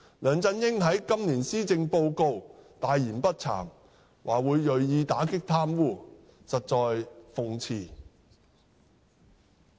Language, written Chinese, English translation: Cantonese, 梁振英在今年施政報告大言不慚地說會銳意打擊貪污，實在諷刺。, It is ironic indeed that LEUNG Chun - ying made such bold shameless remarks about committing to combat corruption in the Policy Address this year